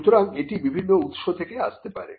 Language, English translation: Bengali, So, it could come from different sources